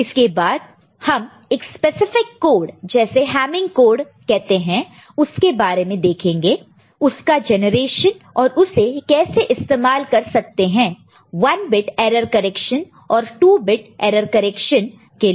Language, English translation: Hindi, And then we shall look at a specific code called Hamming code, its generation and how it is used for 1 bit error correction and 2 bit error detection